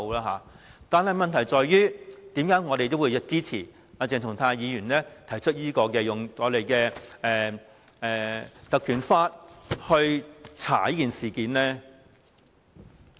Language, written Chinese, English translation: Cantonese, 可是，為何我們仍會支持鄭松泰議員提出引用《權力及特權條例》調查這事件呢？, So why do I still support Dr CHENG Chung - tais proposal to invoke the Ordinance to investigate this incident?